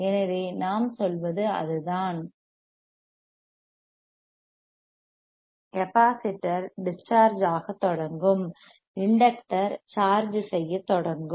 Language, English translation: Tamil, So, what we are saying is that; capacitors will starts discharging, inductor will start charging